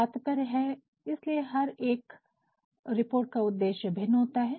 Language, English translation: Hindi, Meaning thereby the purpose of every report will be different